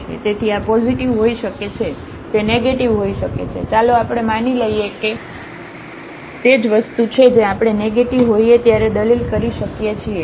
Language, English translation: Gujarati, So, s may be positive, s may be negative, let us just assume that s is positive the same thing we can argue when s is negative